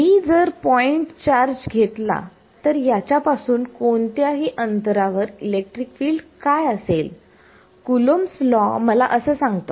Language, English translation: Marathi, If I take if I take point charge what is the electric field far at any distance away from it Coulomb's law tells me